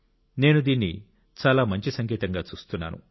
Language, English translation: Telugu, I view this as a very good indicator